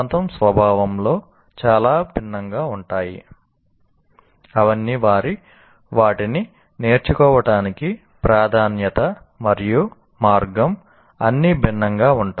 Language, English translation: Telugu, They're all very, very different in their nature, the emphasis and the way to learn, they're all different